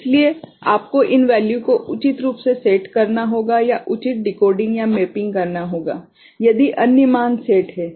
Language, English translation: Hindi, So, you have to set these values appropriately or a proper decoding or mapping need to be done, if other values are set ok